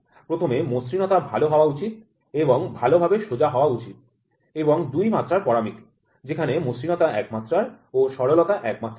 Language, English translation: Bengali, First of all the roughness should be good and straightness should be good and the 2D parameter, roughness 1D where a straightness is also 1D